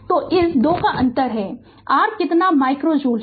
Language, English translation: Hindi, So, there is a difference of this 2 is your how much 800 micro joule